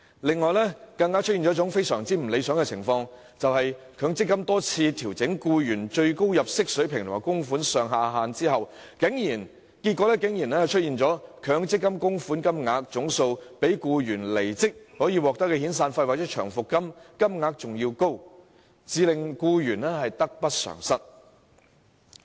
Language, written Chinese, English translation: Cantonese, 另外一個相當不理想的情況，就是強積金多次調整僱員最高入息水平和供款上下限，結果導致強積金供款總額高於僱員離職時應得的遣散費或長期服務金，令僱員得不償失。, Another unsatisfactory point is that the maximum level of income and the maximum and minimum contributions made under the MPF scheme have been adjusted numerous times . Consequently the total amount of MPF contributions is higher than the due severance payment or long service payment receivable by an employee when he leaves his job . As a result his loss will outweigh his gain